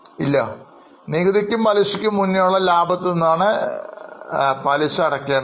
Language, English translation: Malayalam, No, because we have to take profit before interest and taxes